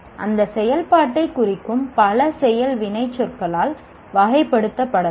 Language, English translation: Tamil, Now that activity can be characterized by many action verbs that represent